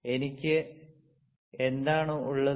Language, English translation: Malayalam, So, what I have